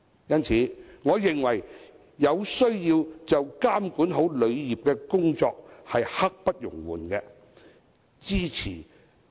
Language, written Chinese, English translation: Cantonese, 因此，我認為監管好旅遊業的工作刻不容緩。, Therefore I consider the regulation of the tourism industry should brook no delay